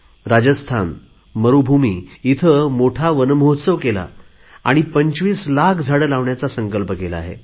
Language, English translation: Marathi, Rajasthan, desert area, has celebrated Van Mahotsav in a very big way and pledged to plant 25 lakhs trees